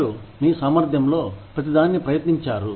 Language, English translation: Telugu, You tried everything in your capacity